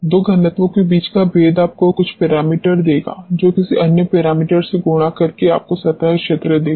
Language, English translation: Hindi, The contrast between the two densities will give you some parameter which multiplied by another parameter will give you the surface area